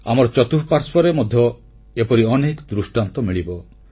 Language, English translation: Odia, If we look around, we can see many such examples